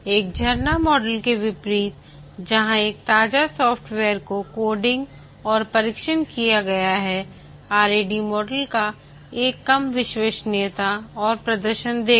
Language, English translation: Hindi, Unlike a waterfall model where a fresh software is designed, coded and tested, the RAD model would give a lower reliability and performance